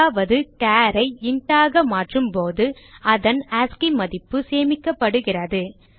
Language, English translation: Tamil, It means when a char is converted to int, its ascii value is stored